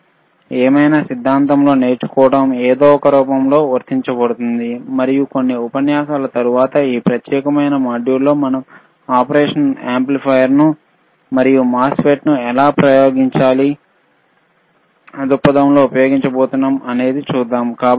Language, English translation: Telugu, wWhatever we learn in theory applied, is applied in some form and let us see in few lectures from after this particular module, how we are going to use the operation amplifiers and MOSFETs for the from the experiment point of view, all right